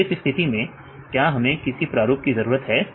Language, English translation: Hindi, So, in this case do we need any pattern